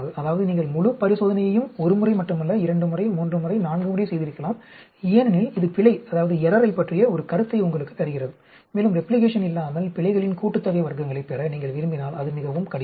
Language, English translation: Tamil, That means, you carry out the entire experiment not just once, may be twice, thrice, four because that gives you an idea about error and if you want to get error sum of squares without replication, it is very, very difficult